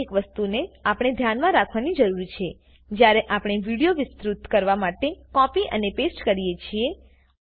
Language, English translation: Gujarati, So, that is something we need to keep in mind when we copy and paste to extend the video